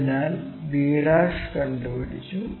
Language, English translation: Malayalam, So, b ' is known